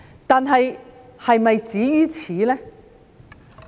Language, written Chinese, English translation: Cantonese, 但是，是否止於此呢？, But do we just stop here?